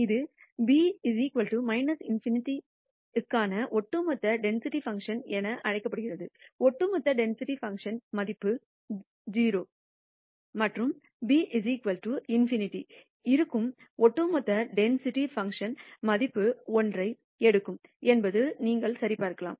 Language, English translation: Tamil, That is known as the cumulative density function for b equals minus in nity the cumulative density function value will be 0 and b equals in nity you can verify that the cumulative density function takes the value one